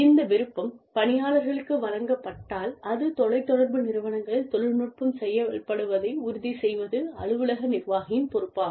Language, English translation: Tamil, If, this option is given to people, to employees, then it is the responsibility of the supervisors, it is the responsibility of the office administration, to ensure, that the technology works, at the end of the telecommuters